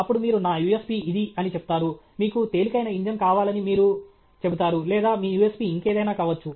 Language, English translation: Telugu, Then, you say that my USP is this; you say that I want a light weight, this thing, whatever be your USP